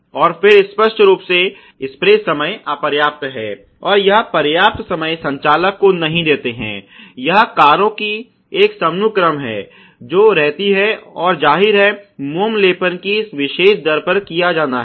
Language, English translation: Hindi, And then obviously, spray time insufficient is another that you don not give it enough time the operator, it is an assembly line of cars which is moving, and obviously, the waxing is also to be done at that particular rate